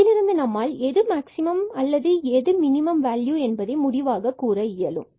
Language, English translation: Tamil, And, from there we can conclude which is the maximum value and which is the minimum value